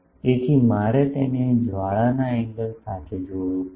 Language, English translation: Gujarati, So, I will have to relate it with the flare angle